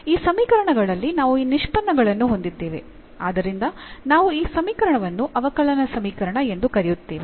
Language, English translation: Kannada, So, we have these derivative terms involving in these equations and therefore, we call this equation as the differential equation